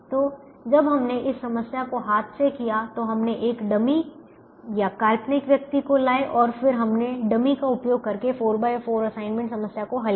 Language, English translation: Hindi, so when we did this problem by hand, we introduced a dummy, we introduced a dummy person and then we solved a four by four assignment problem using the dummy